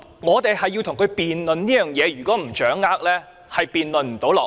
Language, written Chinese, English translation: Cantonese, 我們要與他辯論這一點，如果不掌握清楚，便無法辯論下去。, I suspect he has violated the Rules of Procedure . We are to debate this point with him . If we cannot clearly grasp his meaning we cannot carry on the debate